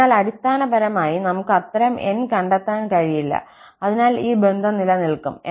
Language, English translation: Malayalam, So, basically, we cannot find such N, so that this relation holds